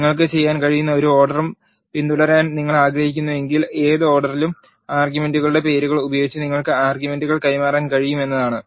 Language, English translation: Malayalam, If you do not want to follow any order what you can do is you can pass the arguments using the names of the arguments in any order